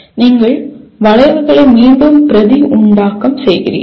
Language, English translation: Tamil, You are just producing the, reproducing the curves